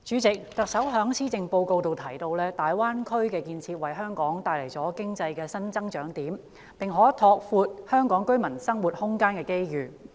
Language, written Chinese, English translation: Cantonese, 主席，特首在施政報告提到，"大灣區建設為香港帶來經濟新增長點，並可拓闊香港居民生活空間的機遇。, President the Chief Executive mentioned in the Policy Address that the development of the Greater Bay Area will bring Hong Kong new areas of economic growth and the opportunity to enlarge the living environment of Hong Kong residents